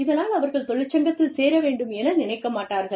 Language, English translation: Tamil, They do not feel, the need to join a union